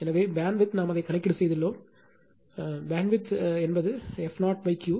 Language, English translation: Tamil, So, bandwidth is we know we have done it band width is equal to f 0 upon Q right